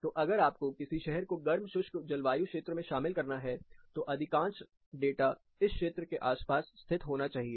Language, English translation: Hindi, So, for example if I have to call a particular city as hot and dry, the majority of the data has to be located around this particular region